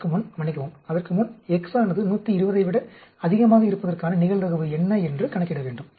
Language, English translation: Tamil, Before that sorry, before that this, compute that what is the probability for x greater than 120